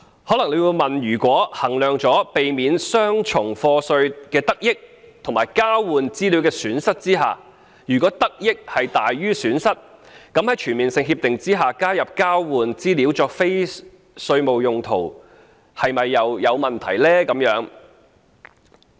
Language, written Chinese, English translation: Cantonese, 可能有人會問，如果衡量過避免雙重課稅的得益和交換資料的損失後，認為得多於失，在全面性協定下加入交換資料作非稅務用途的條款又有何問題呢？, What is wrong―one may argue―with including a provision on use of the exchanged information for non - tax related purposes in CDTAs if the gains from avoiding double taxation presumably outweigh the losses from exchanging information?